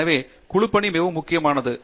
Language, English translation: Tamil, So, Teamwork is very important